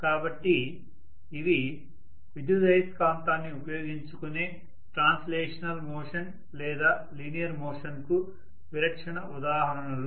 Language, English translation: Telugu, So these are typical examples of translational motion or linear motion using electromagnet